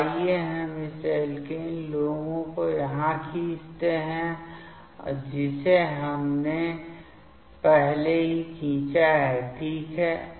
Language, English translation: Hindi, So, let us draw this alkene LUMO here already we have drawn that ok